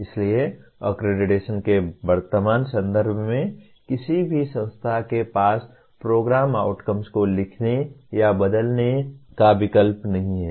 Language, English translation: Hindi, So no institution as of in the current context of accreditation has choice of writing or changing the program outcomes